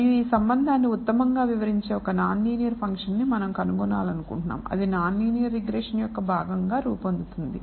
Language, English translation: Telugu, And we wish to discover that non linear function that best describes this relationship that is what forms part of non linear regression